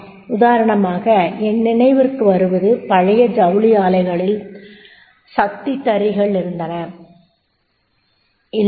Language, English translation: Tamil, Like I remember that is in the old textile mills, they were the power looms, right